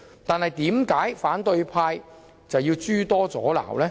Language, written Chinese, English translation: Cantonese, 但是，為何反對派議員卻要諸多阻撓？, Why should the opposition camp raise so much opposition